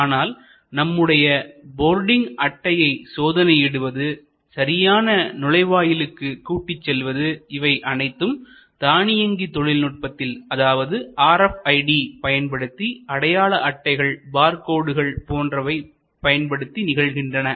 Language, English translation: Tamil, But, the checking of the boarding card and checking of the guidance to the right gate, everything was automated, everything happen through RFID, tags through barcodes and so on and so forth